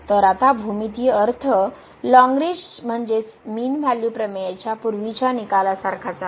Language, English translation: Marathi, So, now the geometrical meaning is similar to the earlier result on Lagrange mean value theorem